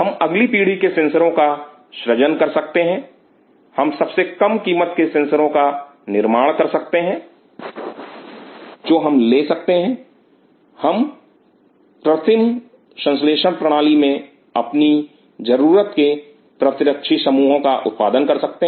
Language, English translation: Hindi, We can create next generation sensors, we can create the cheapest sensors we can have we can produce our own set of anti bodies in an artificial synthetic system